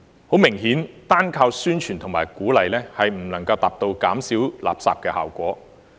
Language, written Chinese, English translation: Cantonese, 很明顯，單靠宣傳和鼓勵，並不能達到減少垃圾的效果。, Obviously we cannot rely on publicity and encouragement alone to achieve the effect of waste reduction